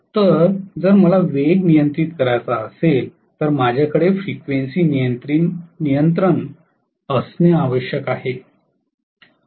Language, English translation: Marathi, So, if I want to have a speed control, I have to have frequency control